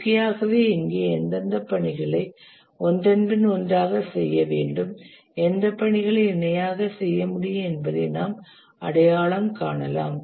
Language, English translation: Tamil, And naturally here we can identify sequence which tasks need to be done one after other and which tasks can be done parallelly